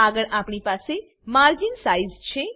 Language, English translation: Gujarati, Next, we have margin sizes